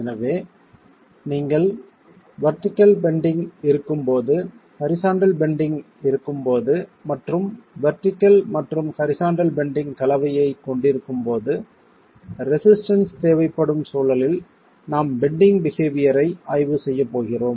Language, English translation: Tamil, So, the case of the requirement of resistance when you have vertical bending, when you have horizontal bending and when you have a combination of vertical and horizontal bending is the context in which we are going to be examining the behavior in bending